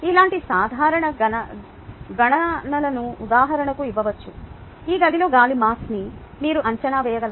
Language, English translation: Telugu, for example, can you estimate the mass of air in this room